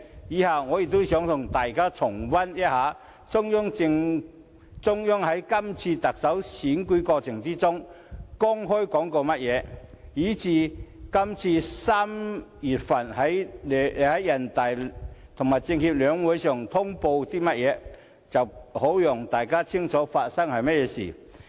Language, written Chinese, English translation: Cantonese, 接着，我想與大家重溫，中央在這次特首選舉過程中公開說過甚麼，以及今年3月在人大政協兩會上通報過些甚麼，好讓大家清楚發生了些甚麼事情。, Now I would like to revisit with Members the remarks made openly by the Central Authorities in the course of this Chief Executive Election as well as the reports delivered at the two sessions of the National Peoples Congress NPC and the Chinese Peoples Political Consultative Conference CPPCC in March this year so as to give Members a clearer picture of what is happening